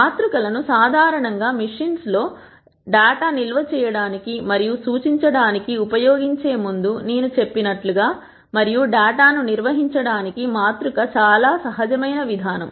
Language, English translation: Telugu, As I mentioned before matrices are usually used to store and represent data on machines and matrix is a very natural approach for organizing data